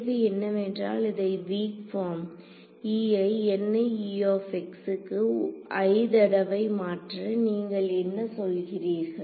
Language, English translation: Tamil, So, the question is will have to substitute this into the weak form e into i N e into i times is there what you are saying